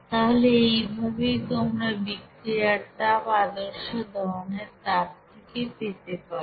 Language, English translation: Bengali, So in this way you can have this value of heat of reaction from this standard heat of combustion